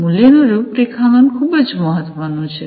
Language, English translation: Gujarati, Value configuration is very important